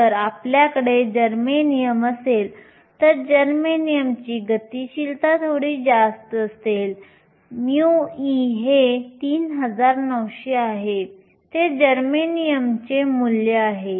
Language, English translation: Marathi, If you had germanium, germanium has a slightly higher mobility, mu e is 3900, that is the value for germanium